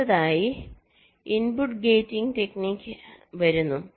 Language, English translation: Malayalam, ok, next comes the input gating technique